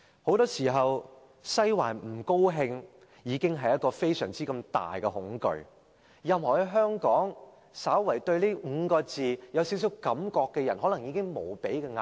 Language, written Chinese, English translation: Cantonese, 很多時候，"西環不高興"已造成非常大的恐懼，在香港對這5個字稍有感覺的人，可能已感受到無比壓力。, In many cases the comment that Western District is displeased can already engender great fears and anyone in Hong Kong who are slightly sensitive to these words are probably already under immense pressure